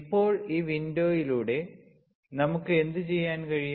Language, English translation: Malayalam, Now through this window, what we can do